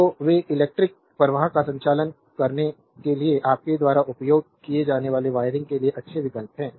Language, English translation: Hindi, So, they are good choices for wiring right your used to conduct electric current